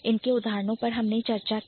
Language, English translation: Hindi, And then the examples I have already discussed